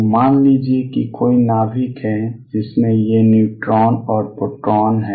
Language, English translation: Hindi, So, suppose there is a nucleus in which these neutrons and protons neutrons and protons are there